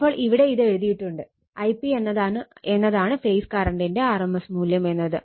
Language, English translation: Malayalam, So, your what it is written here I p is the rms value of the phase current right